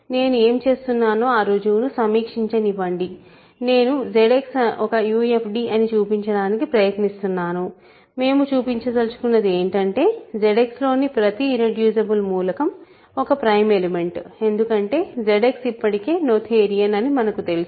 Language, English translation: Telugu, So, just let me review the proof what am I doing I am trying to show that ZX is a UFD; what we want to show is that every irreducible element in Z X is a prime element because Z X already is noetherian